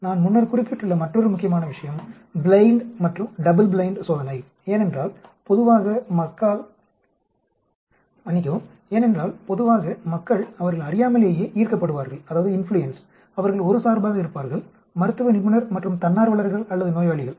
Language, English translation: Tamil, Then another important point which I had mentioned before is performing the blind and double blind test because generally people will get influenced in a very unconscious manner they will get biased, the medical practitioner that is physician as well as the volunteers or patients